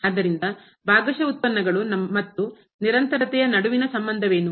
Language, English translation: Kannada, So, what is the Relationship between the Partial Derivatives and the Continuity